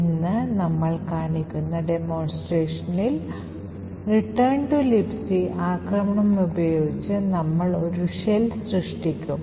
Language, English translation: Malayalam, In the demonstration that we see today, we will be creating a shell using the return to libc attack